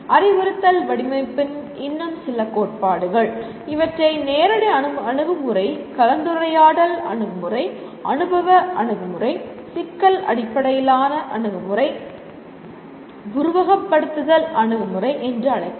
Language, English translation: Tamil, Some more theories of instructional design call it direct approach, discussion approach, experiential approach, problem based approach, simulation approach